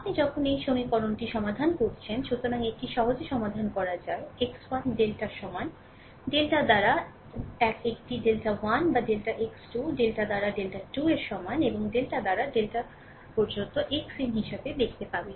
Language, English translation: Bengali, So, it can be easily solved x 1 is equal to delta, 1 by delta will see what is delta 1 or delta x 2 is equal to delta 2 by delta and x n up to the delta n by delta